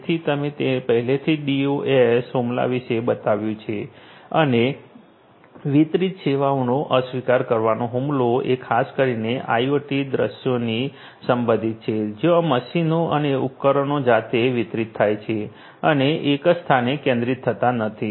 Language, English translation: Gujarati, So, DoS attack, I have already told you and distributed denial of service attack is particularly relevant for IoT scenarios, where the machines themselves the devices themselves are distributed and not centralized in one location